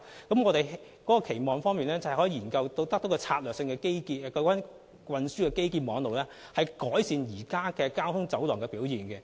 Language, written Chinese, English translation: Cantonese, 我們期望研究策略性基建，透過運輸基建網絡改善現時交通走廊的表現。, We hope to study strategic infrastructure and improve the performance of existing transport corridors through the transport infrastructure networks